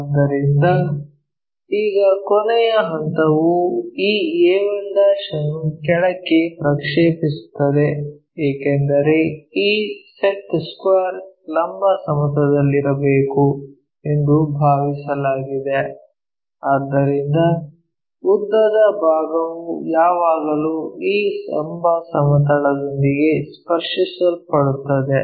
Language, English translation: Kannada, So, now, the last step is project this entire a 1 all the way down, because this set square supposed to be on vertical plane so, the longest one always being touch with this vertical plane